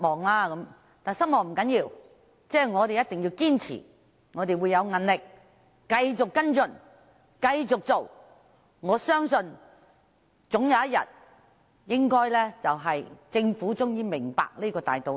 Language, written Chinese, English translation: Cantonese, 然而，失望不要緊，我一定會堅持、要有毅力地繼續跟進及爭取，我相信政府總有一天會明白這個大道理。, Despite my disappointment I will surely persevere and continue to follow up and strive for its implementation . I believe the Government will one day understand this major principle